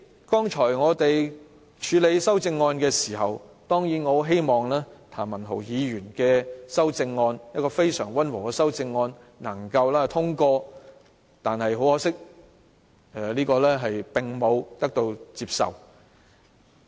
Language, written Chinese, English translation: Cantonese, 剛才我們處理修正案時，我很希望譚文豪議員那項非常溫和的修正案能夠通過，可惜並未獲得接納。, Just now when we dealt with the amendments I very much hope that this very mild amendment of Mr Jeremy TAM could be passed . Sadly it was not accepted